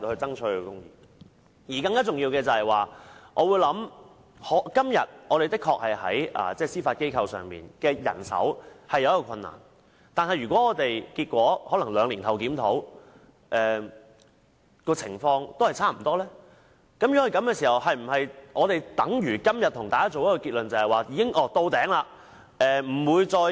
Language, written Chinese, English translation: Cantonese, 更重要的是，現時司法機構確實在人手方面遇到困難，但如果我們在兩年後檢討時，情況與現在分別不大，這是否代表司法管轄權限已經到頂而無可增加？, What is more important is that the Judiciary does have difficulties in manpower but if we conduct a review two years later and find that the situation has remained more or less the same does it imply that the jurisdictional limit is already at its highest and cannot be further increased?